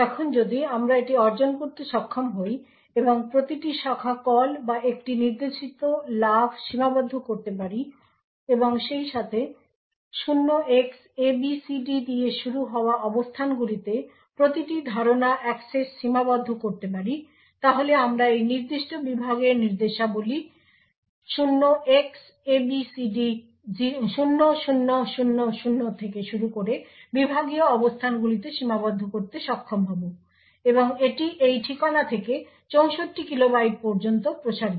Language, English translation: Bengali, Now if we are able to achieve this and restrict every branch call or a jump instruction as well as restrict every memory access to locations which start with 0Xabcd then we will be able to confine the instructions within this particular segment to the locations starting from 0Xabcd0000 and extending up to 64 kilobytes from this address